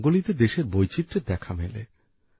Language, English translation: Bengali, The diversity of our country is visible in Rangoli